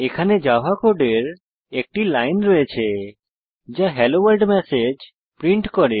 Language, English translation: Bengali, Here is a line of java code that prints the message Hello World Now let us try it on Eclipse